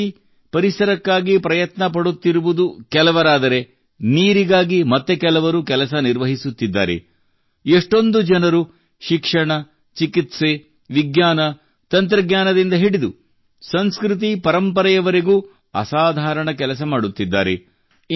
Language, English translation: Kannada, Similarly, some are making efforts for the environment, others are working for water; many people are doing extraordinary work… from education, medicine and science technology to culturetraditions